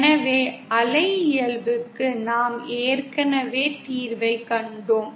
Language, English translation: Tamil, So for the wave nature we have already seen the solution